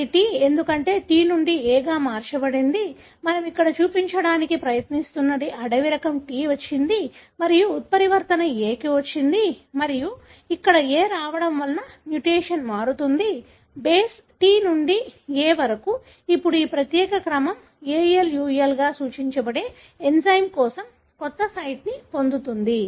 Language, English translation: Telugu, So, what is, we are trying to show here is, is the wild type has got T and the mutant has got A and because of the A coming in here, the mutation changes the base T to A, now this particular sequence gains a new site for an enzyme denoted as AluI